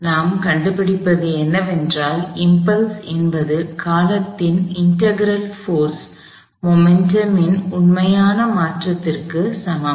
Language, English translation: Tamil, What we find is that the impulse which is the integral of the force over the duration of the time is equal to the actual change in the momentum